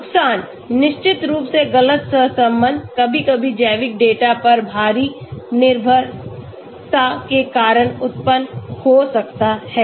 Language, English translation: Hindi, Disadvantages, of course false correlation, sometimes may arise because of heavy reliance placed on biological data